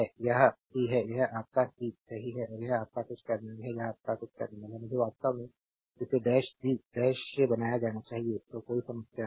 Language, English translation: Hindi, This is c this is your c right and this is your some terminal this is your some terminal, I actually I should it made a dash b dash then there is no problem right